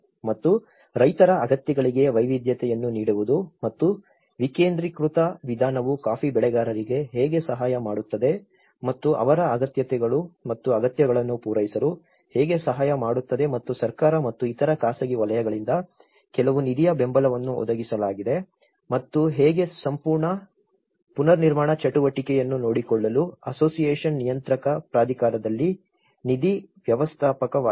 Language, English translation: Kannada, And also giving a variety of to the farmers needs and you know how the decentralized approach will have helped the coffee growers and to come up with their needs and wants and certain fund supports have been provided by the government and as other private sectors and how the association become a manager of fund manager in the controlling authority to look after the whole reconstruction activity